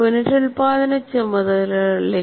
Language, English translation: Malayalam, So let us look at reproduction tasks